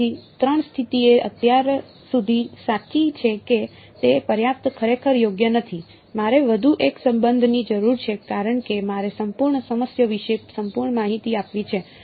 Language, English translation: Gujarati, So, three conditions so far right is that enough not really right I need one more relation because I to complete give full information about the whole problem